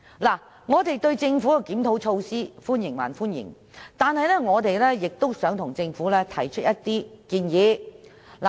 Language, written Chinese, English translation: Cantonese, 儘管我們歡迎政府的檢討措施，但我們亦想向政府提出一些建議。, Although we welcome the Governments review measures we also wish to make some suggestions to the Government